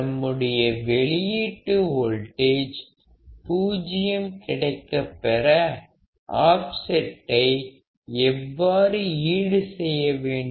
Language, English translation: Tamil, How can we compensate for the offset such that our output voltage would be zero